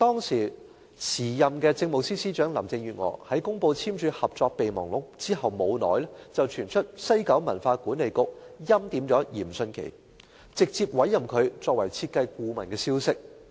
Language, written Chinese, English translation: Cantonese, 時任政務司司長林鄭月娥在公布簽署《合作備忘錄》後不久，便傳出西九管理局欽點嚴迅奇，直接委任他成為設計顧問的消息。, Shortly after the then Chief Secretary for Administration Carrie LAM announced the signing of MOU rumour had it had WKCDA hand - picked Dr Rocco YIM and directly appointed him as design consultant